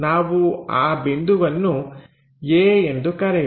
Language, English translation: Kannada, let us call that point a